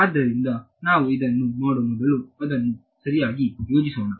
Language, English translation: Kannada, So, before we do this let us just plan it ok